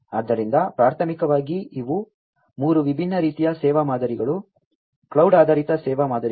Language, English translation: Kannada, So, primarily these are the three different types of service models, cloud based service models